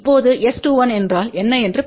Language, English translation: Tamil, Now, let us see what is S 21